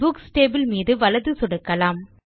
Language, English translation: Tamil, Let us now right click on the Books table